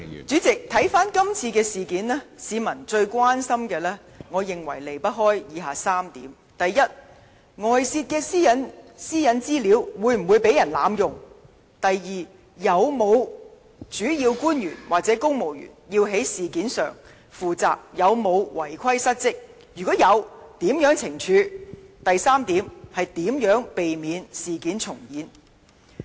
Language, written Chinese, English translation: Cantonese, 主席，看回今次事件，我認為市民最關心的事情離不開以下3點：第一，是外泄的私隱資料會否被人濫用；第二，有否主要官員或公務員要就事件負責，他們有否違規失職，若有，會如何懲處？及第三，就是如何避免事件重演。, President regarding this incident I believe the public is most concerned about the following three points firstly whether the stolen personal data will be misused; secondly whether any principal officials or civil servants should be held responsible for the incident and whether there was any dereliction of duty on their part and if so how they will be penalized; thirdly how to prevent the occurrence of similar incidents